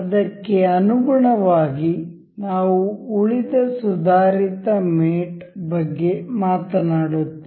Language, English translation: Kannada, In line with that, we will talk about rest of the advanced mate